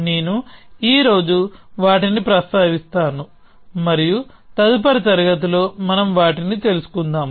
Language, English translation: Telugu, So, I will just mention them today and in the next class we will take it up from there